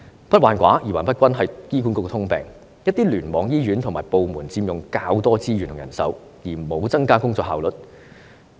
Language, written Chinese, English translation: Cantonese, 不患寡而患不均是醫管局的通病，一些聯網醫院和部門佔用較多資源和人手，卻沒有增加工作效率。, For HA the problem does not lie in insufficient resources or manpower but in its uneven distribution . The hospitals and departments in certain clusters enjoy more resources and manpower but without enhancing their work efficiency